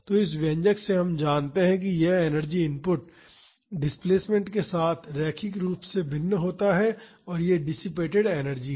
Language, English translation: Hindi, So, from this expression we know that this energy input varies linearly with the displacement and this is the dissipated energy